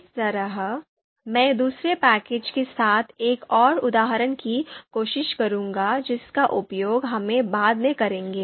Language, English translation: Hindi, Similarly you know another example, I will try with another package that we would be using later on